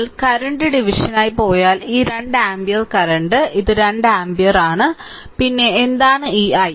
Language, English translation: Malayalam, So, if you go for current division these two ampere current, this is my 2 ampere current right, then what is the what is this i